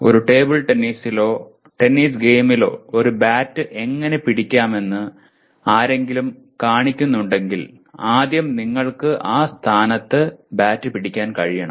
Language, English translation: Malayalam, If somebody shows let us say how to hold a bat in a table tennis or a tennis game so first you should be able to hold the bat in that position